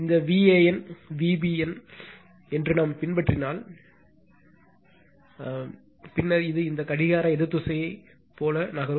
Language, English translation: Tamil, So, what will happen is if we follow the your what we call the this V a n, then V b n, it is moving it is say moving like these anti clockwise direction right